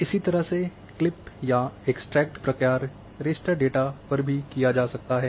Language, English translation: Hindi, The similar clip or extract function can also be performed on your raster data